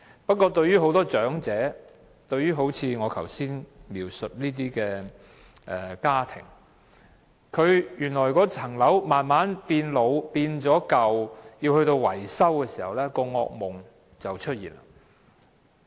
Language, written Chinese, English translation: Cantonese, 不過，對於很多長者來說，正如我剛才所述的家庭，當物業慢慢老舊須進行維修時，他們的惡夢便出現。, However as in the case of the families I mentioned earlier when the conditions of the properties of these elderly persons deteriorate over time and require maintenance their nightmare begins